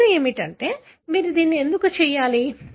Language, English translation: Telugu, The question is why should you do this